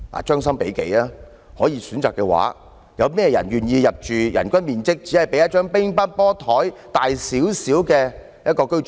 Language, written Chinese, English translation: Cantonese, 將心比己，如果可以選擇，有誰願意入住人均面積只比一張乒乓球桌大少許的單位？, Putting ourselves in their shoes if there can be a choice who wants to dwell in a unit in which the average living space per person is just slightly bigger than a table tennis table?